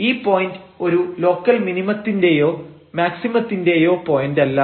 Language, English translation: Malayalam, So, this is a point of local maximum